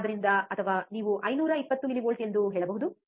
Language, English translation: Kannada, So, or you can say 520 millivolts